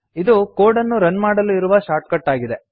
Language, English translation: Kannada, is the shortcut for running the code